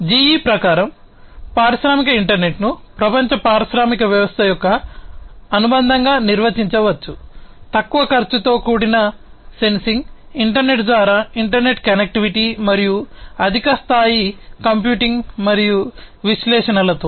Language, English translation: Telugu, So, according to GE industrial internet can be defined as the association of the global industrial system, with low cost sensing interconnectivity through internet and high level computing and analytics